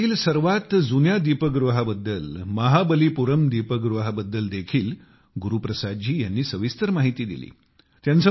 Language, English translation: Marathi, Guru Prasad ji has also written in detail about the oldest light house of India Mahabalipuram light house